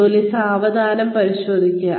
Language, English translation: Malayalam, Check the work slowly